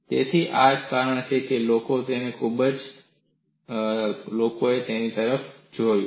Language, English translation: Gujarati, So, this is the reason people have looked at it